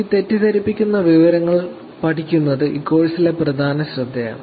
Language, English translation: Malayalam, So, studying this misinformation is one of the main focus on this course